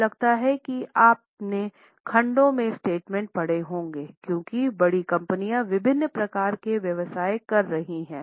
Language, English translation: Hindi, I think you would have read segmental statements because for large companies they are having businesses of different types